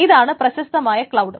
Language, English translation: Malayalam, So this is the famous cloud